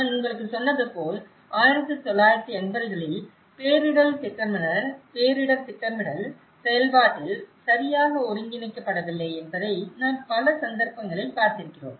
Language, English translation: Tamil, As I said to you, we are still in 1980s in many of the cases, that disaster planning is not well integrated into the planning process